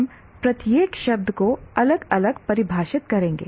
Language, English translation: Hindi, We will define each term separately